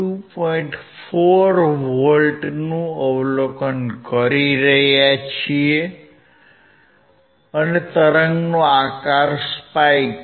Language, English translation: Gujarati, 4 volts and the shape of the wave is a spike